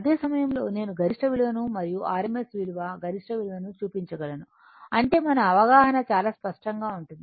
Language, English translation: Telugu, Simultaneously, I can show you the peak value and the rms value peak value of the rms value such that our our understanding will be very much clear right